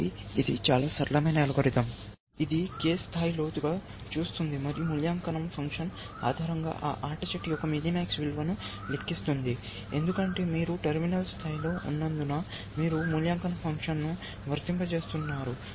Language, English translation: Telugu, So, it is a very simple algorithm, which will look ahead k ply deep, and compute the minimax value of that game, based on the evaluation function, because you have at